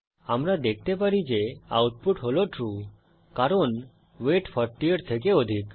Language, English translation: Bengali, As we can see, the output is False because the value of weight is not equal to 40